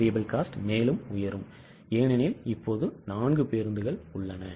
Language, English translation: Tamil, SCVC will go up because now there are 4 buses